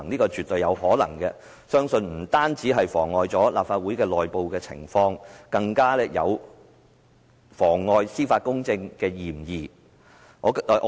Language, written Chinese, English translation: Cantonese, 他絕對有可能想達致這個目的，但這不但會妨礙立法會的內部事務，更有妨礙司法公正之嫌。, He definitely might wish to achieve this objective . He is not only interfering with the internal affairs of the Legislative Council but also suspected of perverting the course of justice